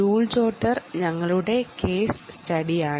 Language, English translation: Malayalam, joule jotter is our case study